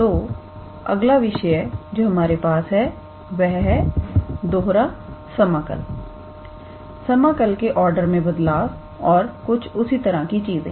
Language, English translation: Hindi, So, the next topic in our agenda is about double integrals change of order of integration and things like that